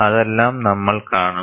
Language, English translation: Malayalam, All that, we will see